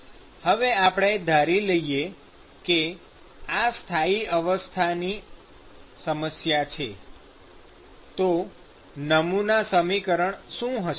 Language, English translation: Gujarati, So, it is a steady state problem, then what is the model equation